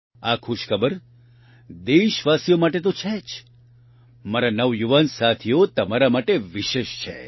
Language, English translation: Gujarati, This good news is not only for the countrymen, but it is special for you, my young friends